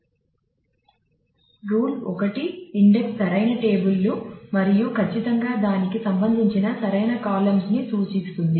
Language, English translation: Telugu, So, rule 1 index the correct tables and certainly related to that is index the correct columns